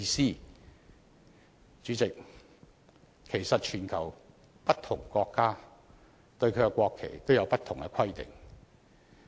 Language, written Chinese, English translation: Cantonese, 代理主席，其實全球不同國家對國旗也有不同規定。, Deputy President in fact different countries around the world have different requirements for their own national flags